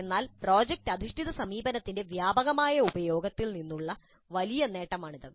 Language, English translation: Malayalam, So this is a great benefit from widespread use of project based approach